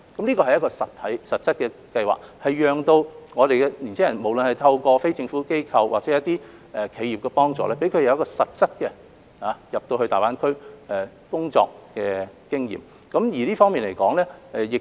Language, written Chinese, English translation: Cantonese, 這是一個實質的計劃，讓年青人無論是透過非政府機構或企業的幫助，取得實際前往大灣區工作的經驗。, This is a specific scheme which allows young people to gain practical work experience in GBA with the assistance of non - governmental organizations or enterprises